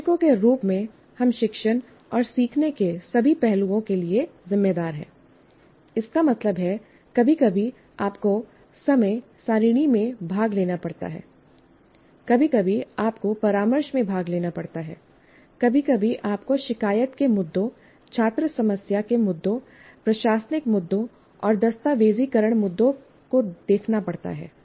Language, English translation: Hindi, That means you have sometimes you have to participate in timetabling, sometimes you have to participate in counseling, sometimes you have to look at grievance issues, student problem issues and administrative issues and documentation issues